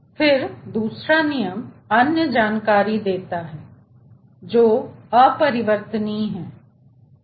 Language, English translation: Hindi, then second law gives another information, which is irreversibility